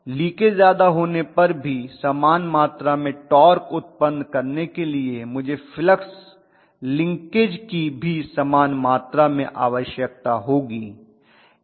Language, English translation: Hindi, If the leakage is more to produce the same amount of torque I might require the same amount of flux linking